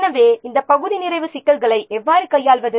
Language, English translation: Tamil, So, how to deal with these partial completion problems